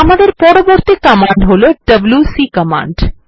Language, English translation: Bengali, The next command we will see is the wc command